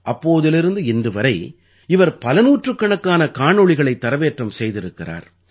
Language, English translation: Tamil, Since then, he has posted hundreds of videos